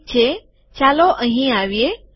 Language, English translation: Gujarati, Alright, lets come here